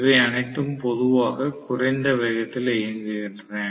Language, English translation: Tamil, All of them work normally at lower speeds, so these work at low speed